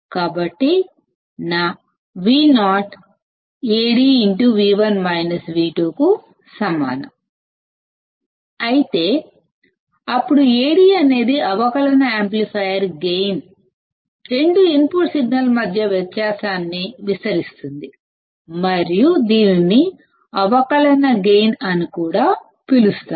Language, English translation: Telugu, So, if my Vo equals to Ad into V1 minus V2; then Ad is gain with which the differential amplifier, amplifies the difference between two input signals and it is also called as the differential gain